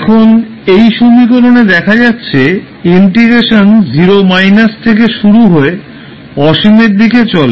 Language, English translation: Bengali, Now, what we saw in this equation, the integration starts from 0 minus to infinity